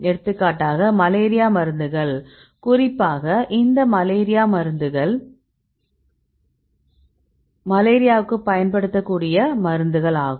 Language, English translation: Tamil, So, specifically the drugs they used for this malaria